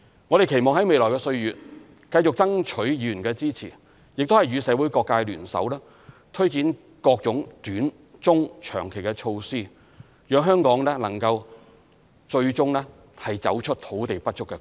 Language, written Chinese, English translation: Cantonese, 我們期望在未來的歲月，繼續爭取議員的支持，亦與社會各界聯手，推展各種短、中、長期措施，讓香港最終能夠走出土地不足的困局。, Looking ahead we hope to continue to seek Members support and join hands with all sectors of the community to take forward various short - medium - and long - term initiatives thereby leading Hong Kong out of the stalemate of land shortage eventually